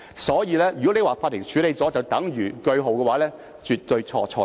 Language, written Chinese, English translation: Cantonese, 所以，如果你說法庭處理了便等於劃上句號，是絕對地錯、錯、錯。, It is therefore absolutely wrong for Members to say that a full stop should be put to the case since it has been dealt with by the Court